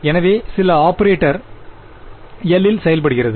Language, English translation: Tamil, So, some operator L acts on